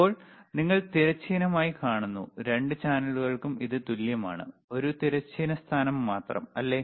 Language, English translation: Malayalam, Now, you see for horizontal, for both the channels it is same, only one horizontal position, right